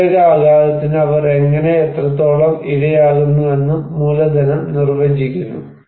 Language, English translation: Malayalam, And also capital define that how and what extent they are vulnerable to particular shock